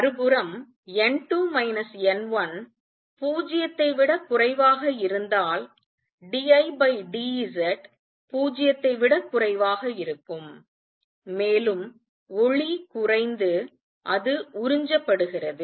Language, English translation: Tamil, On the other hand if n 2 minus n 1 is less than 0 d I by d Z is going to be less than 0 and the light gets diminished it gets absorbed